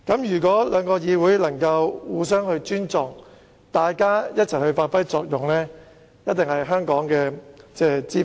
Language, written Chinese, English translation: Cantonese, 如果兩個議會能互相尊重，一起發揮作用，實屬香港之福。, If both Councils can demonstrate mutual respect and give play to their functions it will surely be good for the welfare of Hong Kong